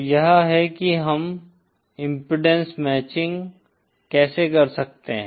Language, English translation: Hindi, So this is how we can do the impedance matching